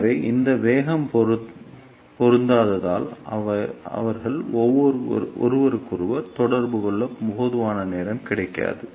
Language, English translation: Tamil, So, because of this velocity mismatch, they will not get enough time to interact with each other